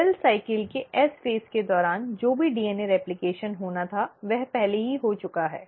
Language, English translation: Hindi, Whatever DNA replication had to happen has already happened during the S phase of cell cycle, it is not happening anymore